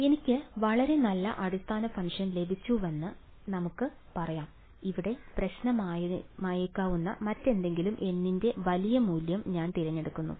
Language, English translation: Malayalam, So, let us say that I have got very good basis function I have chosen a large value of N anything else that could be a problem over here